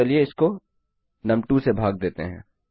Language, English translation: Hindi, So, lets say this is divided by num2